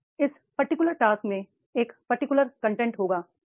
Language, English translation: Hindi, Now this particular job will have a particular content